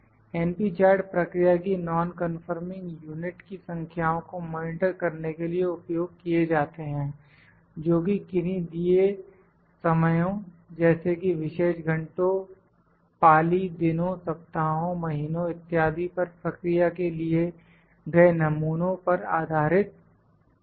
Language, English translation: Hindi, np charts is used to monitor the number of non conforming units of a process based on samples taken from the processes at a given time maybe at specific hours, shifts, days, weeks, months, etc